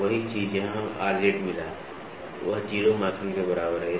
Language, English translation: Hindi, So, same thing where we got Rz is equal to 0 microns